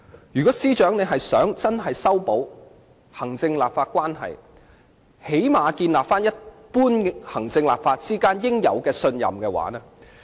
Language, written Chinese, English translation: Cantonese, 如果司長真的想修補行政立法關係，最低限度須重建行政機關與立法會之間應有的一般信任。, If the Chief Secretary really wants to mend the executive - legislature relationship he must at least rebuild the general trust that should exist between the Executive Authorities and the Legislative Council